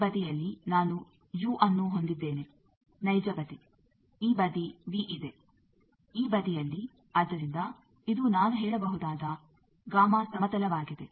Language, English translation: Kannada, I have this side u, real side, this side v, this side, so this is a gamma plane I can say